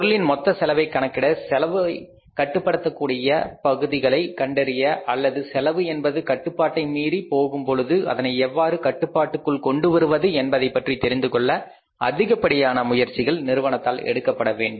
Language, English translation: Tamil, The firm has to make lot of efforts to calculate the total cost of the product and find out those areas where the cost can be controlled or if the cost is going out of control how to control it